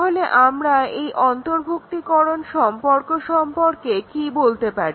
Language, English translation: Bengali, So, what can we tell about the subsumption relationship